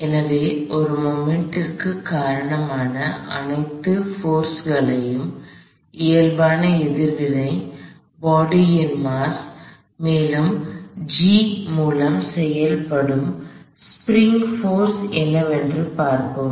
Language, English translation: Tamil, So, let see what are all the forces that are responsible for a moment, the normal reaction, the mass of the body as well as the spring force all act through G